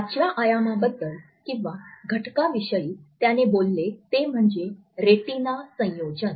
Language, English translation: Marathi, The fifth dimension he has talked about is that of retinal combination